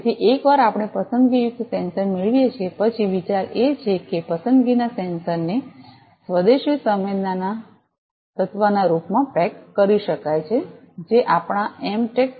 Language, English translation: Gujarati, So, once we get the selective sensor then the idea is to pack the selective sensor in the form of indigenous sensing element, that was developed by our M Tech students